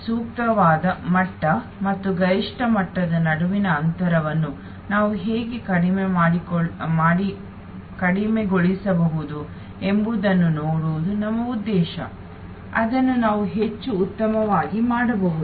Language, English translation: Kannada, So, our aim is to see how we can reduce this gap between the optimal level and the maximum level, the more we can do that better it is